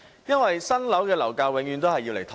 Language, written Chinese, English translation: Cantonese, 因為新樓的樓價永遠用來"托市"。, No because prices of new buildings are used to prop up the market